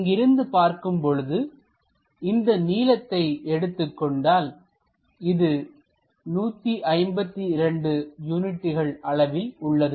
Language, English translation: Tamil, This length if we are looking from here all the way there this is 152 units